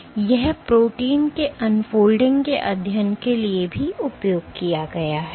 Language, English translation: Hindi, And it has also found use for studying unfolding of proteins